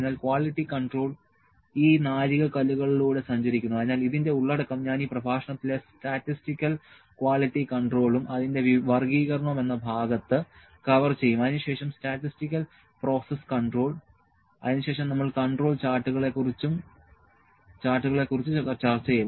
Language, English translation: Malayalam, So, quality control travels through these milestones so, the I will cover this content in this lecture the statistical quality control and its classification then statistical process control then we will discuss the control charts